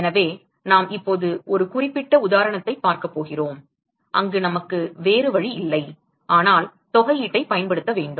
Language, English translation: Tamil, So, we are going to look at a specific example now, where we do not have a choice, but to use the integral